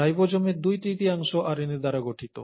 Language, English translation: Bengali, Two third of ribosomes is made up of RNA